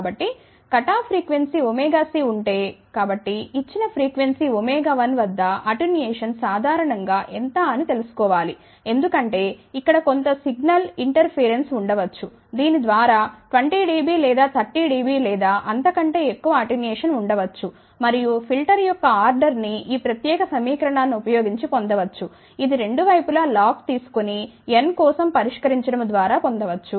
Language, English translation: Telugu, So, if the cut of frequency is omega c so, it is generally desired that at a given frequency omega 1 how much is the attenuation, ok because there may be a some inter faring single over here which needs to be attenuated by may be 20 dB or 30 dB or more and the order of the filter can be obtained by using this particular equation which is obtained by taking log on both the sides and solving for n